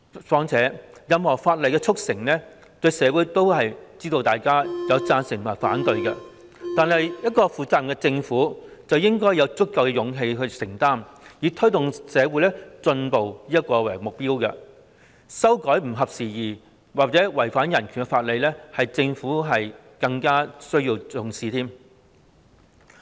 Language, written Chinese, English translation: Cantonese, 況且，對於任何法例的促成，社會上總會有贊成和反對意見，但負責任的政府應有足夠的勇氣作出承擔，以推動社會進步為目標，修改不合時宜或違反人權的法例，這是政府需要更加重視的一環。, Moreover no matter what legislation the Government tries to enact there will be both supporting and opposing views in society but as a responsible government it should have the courage to commit itself to amending obsolete laws or those which are in violation of human rights thereby promoting social advancement . This is an area to which the Government should attach greater importance